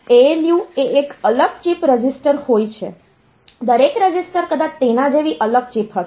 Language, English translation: Gujarati, So, ALU is a separate chip register each register maybe a separate chip like that